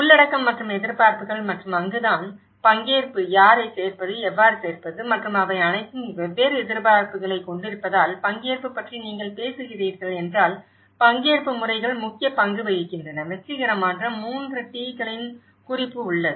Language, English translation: Tamil, Inclusion and expectations and that is where the participation, whom to include, how to include and because they have all different expectations and this is where the participatory methods play an important role if you are talking about participation that there is also a note of successful 3 T’s